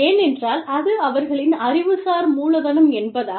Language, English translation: Tamil, Why because, that is their intellectual capital